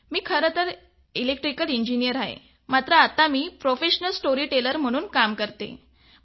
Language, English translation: Marathi, I am an Electrical Engineer turned professional storyteller